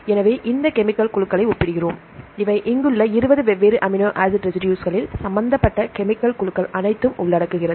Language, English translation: Tamil, So, we compare these chemical groups, these are the chemical groups involved in the 20 different amino acid residues here right